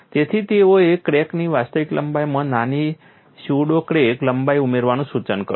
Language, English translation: Gujarati, So, they suggested addition of a small pseudo crack length to the actual crack lengths